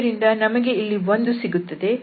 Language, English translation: Kannada, So, only we will have 1 there